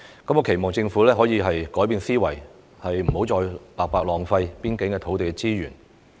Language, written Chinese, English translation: Cantonese, 我期望政府可以改變思維，不要再白白浪費邊境的土地資源。, I hope that the Government can change its mindset and stop wasting land resources at the border for no reason